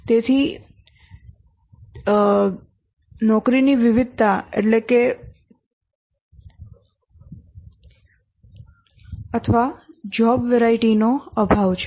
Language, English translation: Gujarati, So there is a lack of job variety